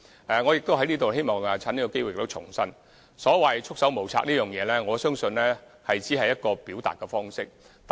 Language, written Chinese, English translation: Cantonese, 我亦希望藉此機會重申，所謂"束手無策"，我相信只是一個表達方式。, I would also like to take this opportunity to reiterate that the phrase having our hands tied is simply a form of expression